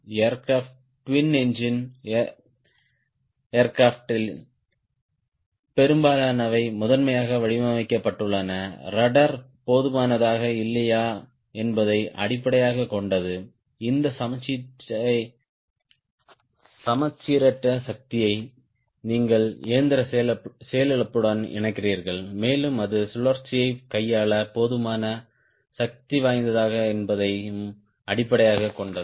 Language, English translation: Tamil, most of the aircraft, twin engine aircraft, are designed primarily based on whether the rudder is efficient or not to handle this asymmetry power which you link to engine failure, and also whether that is enough powerful to handle the spin right